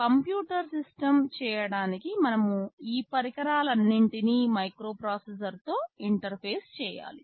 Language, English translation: Telugu, To make a computer system we have to interface all these devices with the microprocessor